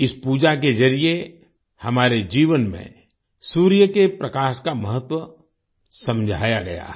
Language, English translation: Hindi, Through this puja the importance of sunlight in our life has been illustrated